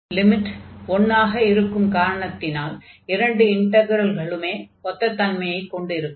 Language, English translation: Tamil, So, we have this limit as 1, and in this case again for the same reason both the integrals will behave the same